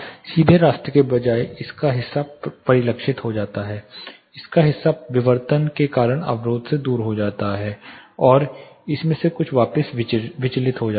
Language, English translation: Hindi, Instead of the straight path part of it is get reflected, part of it gets of the barrier because of diffraction and some of it gets diffracted back